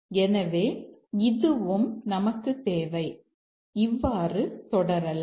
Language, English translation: Tamil, So, we also need this and so on